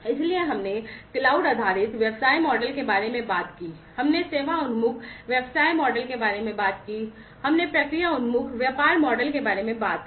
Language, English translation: Hindi, So, we talked about cloud based business model, we talked about the service oriented business model, we talked about the process oriented business model